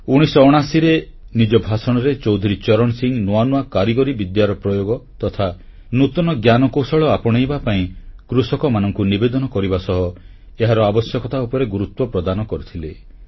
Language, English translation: Odia, Chaudhari Charan Singh in his speech in 1979 had urged our farmers to use new technology and to adopt new innovations and underlined their vital significance